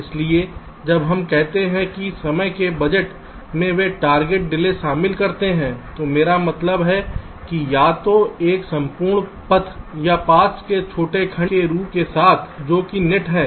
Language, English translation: Hindi, so when we say timing budgets here they include target delays along, i means either an entire path or along shorter segment of the paths, which are the nets